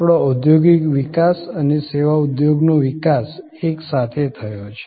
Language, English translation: Gujarati, Our industrial growth and service industry growth kind of happened together